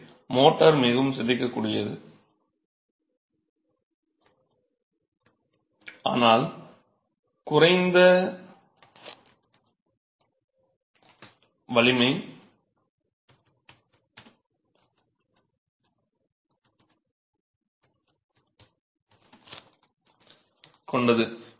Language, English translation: Tamil, So, the motor is more deformable but of lower strength